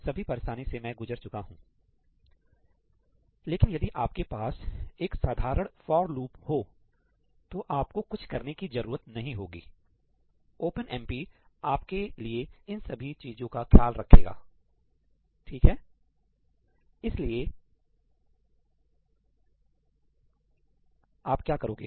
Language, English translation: Hindi, I went through all that trouble, but if you have a simple for loop, typically that is not something that you have to do, OpenMP can take care of that for you